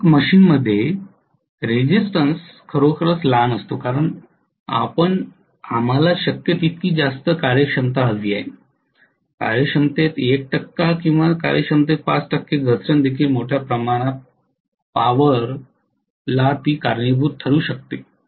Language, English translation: Marathi, Resistance is really really small in most of the machines because we want to have the efficiency as high as possible, even 1 percent drop in efficiency or 5 percent drop in efficiency can cause a huge amount of power